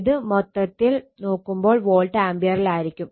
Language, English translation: Malayalam, And total if you make, it will be volt ampere